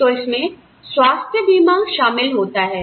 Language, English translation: Hindi, So, they include health insurance